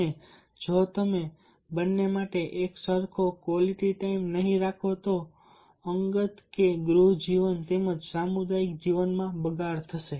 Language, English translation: Gujarati, and if you do not keep equal amount of quality time to both hen there will be deterioration in personal or home life as well as in community life